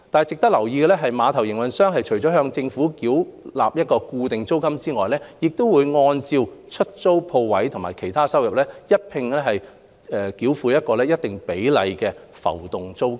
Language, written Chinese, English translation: Cantonese, 值得留意的是，碼頭營運商除向政府繳付固定租金外，亦須按出租鋪位及其他收入繳付一定比例的浮動租金。, It is worth noting that in addition to the fixed rent the terminal operator is also required to pay a variable rent at a designated percentage based on rentals and other income